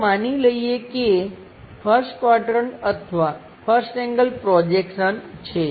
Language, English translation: Gujarati, Let us assume that is a first quadrant or first angle projection